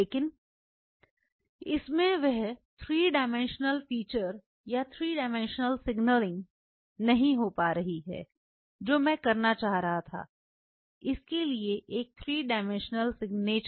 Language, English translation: Hindi, But it is not getting that whole 3 dimensional feature or 3 dimensional signaling I wanted to have a 3 dimensional signature to this